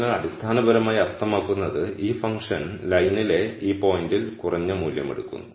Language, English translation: Malayalam, So, that basically means this function takes a lower value at this point on the line